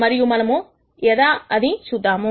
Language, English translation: Telugu, Let us see how this comes about